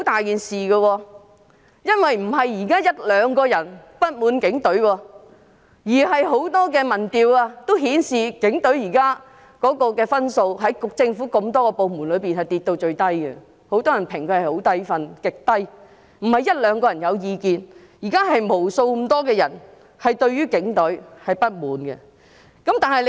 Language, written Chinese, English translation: Cantonese, 現在不只是一兩個人不滿警隊，很多民調均顯示現時警隊的分數在政府眾多部門中跌至最低，很多人給予極低的評分，不是一兩個人對警方有意見，而是無數人對警隊有所不滿。, Many opinion surveys have shown that the rating of the Police has now dropped to the lowest among all government departments . Many people have given it an extremely low score . Not only one or two people hold views against the Police